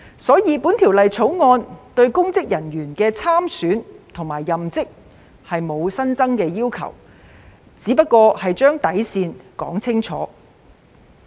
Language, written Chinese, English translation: Cantonese, 因此，《條例草案》對公職人員的參選及任職並無新增要求，只是把底線說清楚。, Therefore instead of imposing additional requirements on public officers for standing for election or taking up the public office the Bill has only set out the bottom line clearly